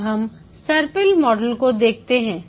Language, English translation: Hindi, Now let's look at the spiral model